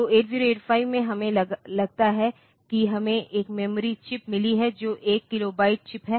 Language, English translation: Hindi, So, from 8085 we have got suppose we have got a memory chip which is one kilobyte chip